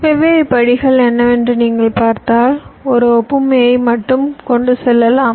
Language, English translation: Tamil, if you see what are the different steps, let me just carry an analogy